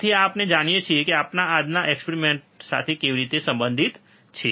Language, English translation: Gujarati, So, this we know, how it is related to our today’s experiment